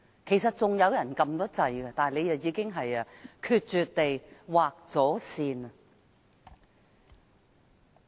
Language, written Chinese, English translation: Cantonese, 其實，還有議員已按鈕要求發言，但他卻決絕地劃線。, In fact some Members have also pressed the Request - to - speak button yet he drew the line harshly giving no regard to them